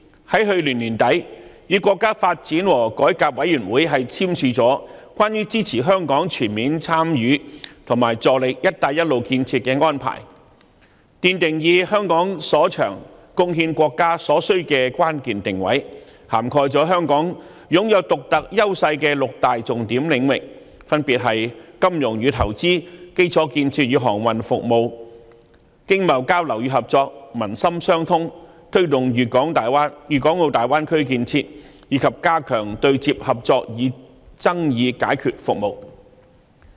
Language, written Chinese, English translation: Cantonese, 去年年底，特區政府與國家發展和改革委員會簽署《關於支持香港全面參與和助力"一帶一路"建設的安排》，奠定以香港所長貢獻國家所需的關鍵定位，涵蓋香港擁有獨特優勢的六大重點領域，分別是金融與投資、基礎建設與航運服務、經貿交流與合作、民心相通、推動粵港澳大灣區建設，以及加強對接合作與爭議解決服務。, At the end of last year the SAR Government and the National Development and Reform Commission signed the Arrangement for Advancing Hong Kongs Full Participation in and Contribution to the Belt and Road Initiative establishing Hong Kongs pivotal position in the promotion of the Belt and Road Initiative by leveraging our strengths to meet the countrys needs . The Arrangement covers six key areas in which Hong Kong have distinctive strengths namely finance and investment infrastructure and maritime services economic and trade facilitation and cooperation people - to - people bond taking forward the development of the Greater Bay Area and enhancing collaboration in project interfacing and dispute resolution services